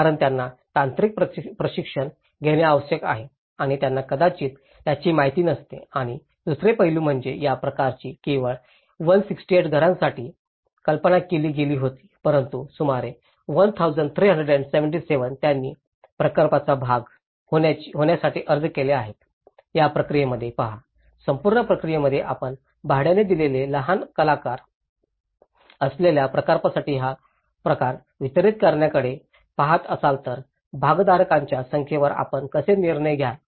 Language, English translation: Marathi, Because they need to get the technical training and they are not may not be aware of it and the second aspect is this project was only conceived for 168 houses but about 1377 who have applied to be part of the project, see in this process; in the whole process, when you are looking at delivered this kind of project for with the small actors who are the rental group, how will you decide on the number of stakeholders